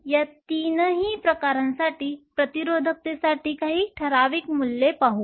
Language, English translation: Marathi, Let us look at some typical values for resistivity for all these three types